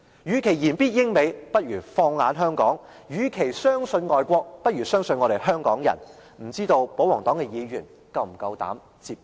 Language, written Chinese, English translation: Cantonese, 與其言必英、美，不如放眼香港；與其相信外國，不如相信我們香港人，不知道保皇黨的議員是否夠膽接招？, Instead of referring to the experience in the United Kingdom and the United States they should focus on the situation in Hong Kong . They should rather have confidence in Hong Kong people than people in the overseas . I wonder if the pro - Government camp dares to accept this challenge